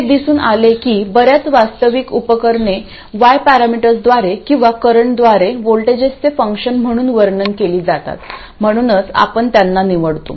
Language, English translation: Marathi, It turns out that most of the real devices are well described by Y parameters or with currents as functions of voltages, that's why we chose them